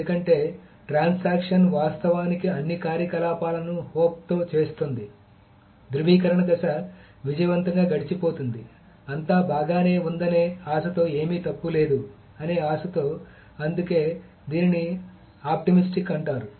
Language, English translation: Telugu, Because the transaction actually does all the operations with the hope that the validation phase will pass successfully, with the hope that nothing is wrong, with the hope that everything is well